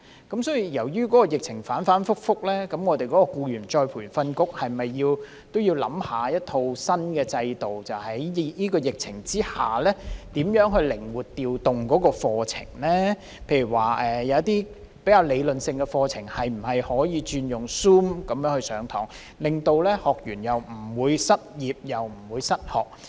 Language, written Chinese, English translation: Cantonese, 鑒於疫情反覆，僱員再培訓局是否也要探討一套新的制度，在疫情之下靈活調動課程，例如一些比較理論性的課程可否改用 Zoom 上課，令到學員既不會失業，亦不會失學。, Given the volatile epidemic situation should the Employees Retraining Board ERB explore a new system to flexibly arrange its courses amid the epidemic such as switching to Zoom for some relatively theoretical courses so that trainees will neither lose their job nor miss out on training?